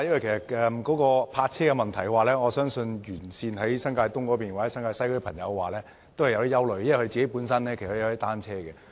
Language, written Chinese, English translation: Cantonese, 但是，對於泊位問題，我相信新界東及新界西的居民多少也有些憂慮，因為他們本身也擁有單車。, But I think when it comes to the issue of parking spaces residents in New Territories East and New Territories West will inevitably have some worries because many of them have their own bicycles